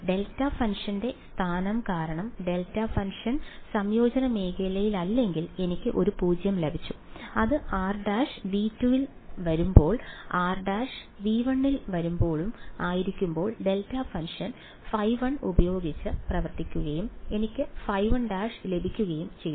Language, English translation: Malayalam, Because of location of the delta function; if the delta function was not in the region of integration then I got a 0 which happened when r prime was in V 2 right and when r prime was in V 1 then the delta function acted with phi 1 and I got phi 1 r prime right